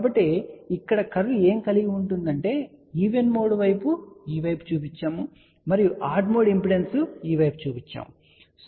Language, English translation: Telugu, So, what we have the curve here even mode is shown on this side , and odd mode impedance is shown on this side